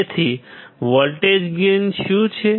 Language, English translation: Gujarati, So, the voltage gain is what